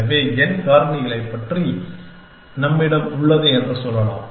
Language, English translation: Tamil, So, we can say that we have about n factorial